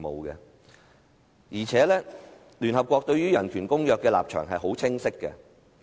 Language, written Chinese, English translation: Cantonese, 而且，聯合國對人權公約的立場很清晰。, Moreover the United Nations holds a clear stance on human rights treaties